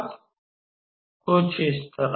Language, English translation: Hindi, So, something like this